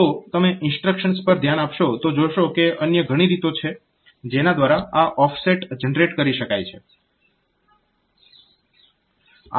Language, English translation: Gujarati, So, you will be look into the instructions will see that there are many other ways by which we can generate this offsets